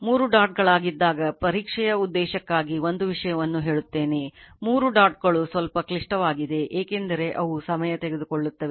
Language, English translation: Kannada, Now this one, when 3 dots are 3 dots let me tell you one thing for the exam purpose, 3 dots are little bit heavy because of time consumption right